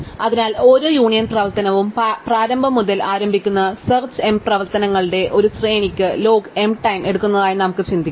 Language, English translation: Malayalam, So, we can think of each union operation is taking log m time for a sequence of search m operations starting from the initial